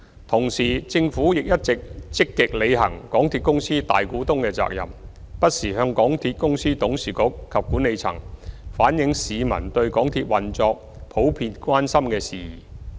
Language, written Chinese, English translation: Cantonese, 同時，政府一直積極履行港鐵公司大股東的責任，不時向港鐵公司董事局及管理層反映市民對港鐵運作普遍關心的事宜。, Meanwhile the Government has been proactively carrying out its duty as MTRCLs majority shareholder by reflecting to the Board and management of MTRCL from time to time the common concerns of the community on MTR operations